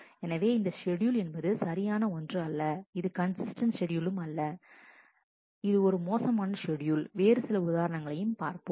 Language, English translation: Tamil, So, this schedule is an incorrect inconsistent schedule, it is a bad schedule, let us take other examples